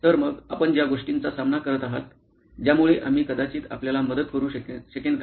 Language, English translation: Marathi, So, is there something that you are facing that we can probably help you with